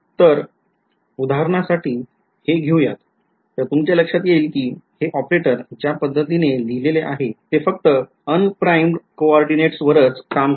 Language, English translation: Marathi, So, looking at this kind of a lets for example, take this you can notice that this operator the way I have written it only acts on unprimed coordinates